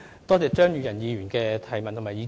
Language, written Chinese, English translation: Cantonese, 多謝張宇人議員的補充質詢和意見。, I thank Mr Tommy CHEUNG for his supplementary question and views